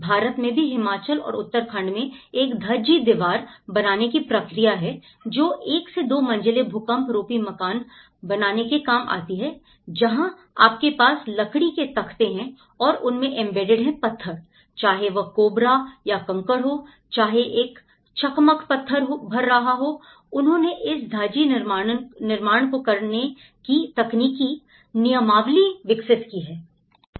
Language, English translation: Hindi, Like in India, also in Himachal and as well as in Uttarakhand, we have the Dhajji wall constructions where it can go of the one and two storey earthquake resistant houses, where you have the timber frames and the embedded whether it is a stone embedded, whether it is cobbles or pebbles, whether is a flint filling it so, they have developed the technical manuals of doing this Dhajji constructions